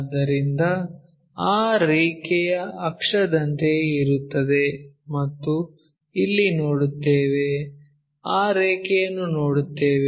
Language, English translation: Kannada, So, this line will be more like an axis and where we will see is here we will see that line